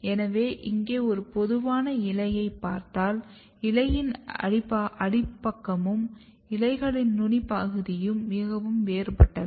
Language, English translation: Tamil, So, here if you look a typical leaf so, the basal side of the leaf and apical sides of leaves are very different